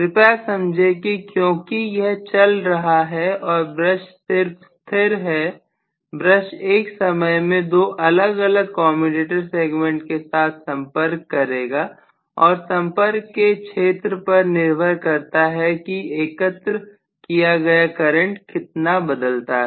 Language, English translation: Hindi, This is the current through the coil B, right, please understand that because this is moving and the brush is just stationary the brush would rather make contact with two different commutator segments at a time and depending upon the area of contact how much is the current collected that changes